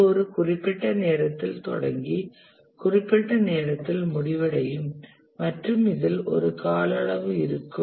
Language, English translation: Tamil, It will start at certain time and end by certain time and And in between, it will have a duration